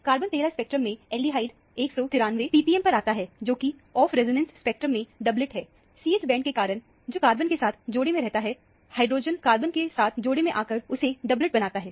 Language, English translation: Hindi, In the carbon 13 spectrum, the aldehyde comes at 193 ppm, which is a doublet in the off resonance spectrum, because of the CH bond, which couples with the carbon; the hydrogen couples with the carbon to make it into a doublet